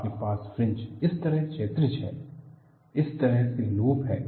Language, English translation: Hindi, You have fringes, are horizontal like this, loops like this